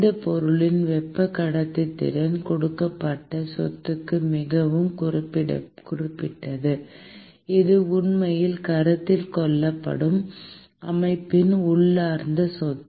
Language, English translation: Tamil, Thermal conductivity of that material is very specific to a given property; and it is an intrinsic property of the system that is actually being considered